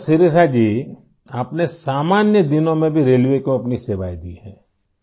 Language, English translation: Urdu, Ok Shirisha ji, you have served railways during normal days too